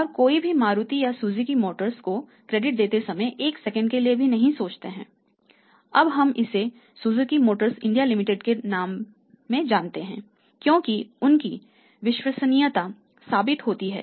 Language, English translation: Hindi, And nobody thinks even even even even for a second while extending creditworthy or Suzuki motor out because it is a Suzuki Motors India Limited because their credibility is proven